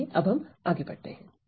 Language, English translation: Hindi, So, then let us move ahead